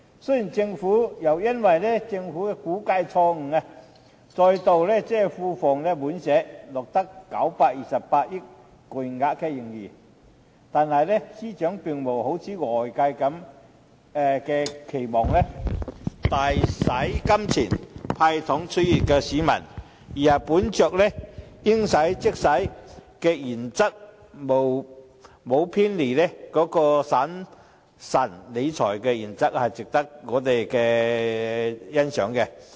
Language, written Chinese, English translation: Cantonese, 雖然又再因為政府估計錯誤，令庫房再度滿瀉，錄得928億元巨額盈餘，但司長並無好像外界期望般大灑金錢，"派糖"取悅市民，而是"應使則使"，沒有偏離審慎理財的原則，值得我們欣賞。, Although a huge surplus of 92.8 billion is recorded due to the Governments wrong estimate once again causing the Treasury to be overflowing with money the Financial Secretary has not handed out candies generously to please the public as anticipated by the community; instead he spends only when necessary without deviating from the principle of prudent financial management which is commendable